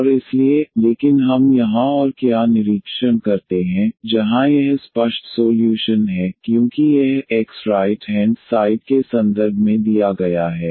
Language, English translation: Hindi, And therefore, but what else we observe here where that is the explicit solution because this y is given in terms of the x right hand side